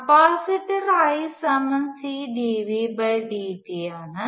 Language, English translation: Malayalam, The capacitor I is C dV dt